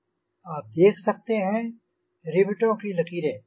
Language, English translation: Hindi, you can see the riveted line